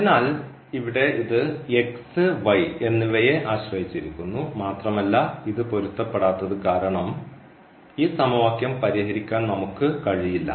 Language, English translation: Malayalam, So, here this depends on x and y, and we cannot solve this equation because this is inconsistent now